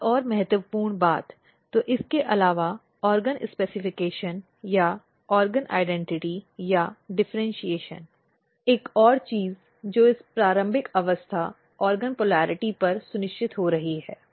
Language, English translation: Hindi, Another important thing, so apart from that the organ specification or organ identity or differentiation one more thing which is getting ensured at this early stages organ polarity